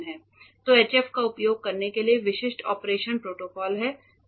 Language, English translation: Hindi, So, there are specific operation protocols for using HF itself